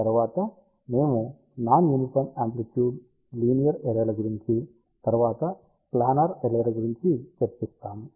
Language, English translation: Telugu, After, that we will discuss about linear arrays with non uniform amplitude followed by planar arrays